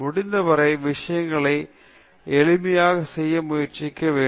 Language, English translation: Tamil, You should try to make things as simple as possible